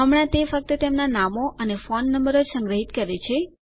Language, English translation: Gujarati, It currently stores their names and phone numbers only